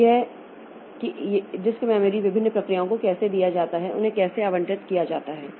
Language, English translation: Hindi, So this, how this disk storage is given to different processes, how are they allocated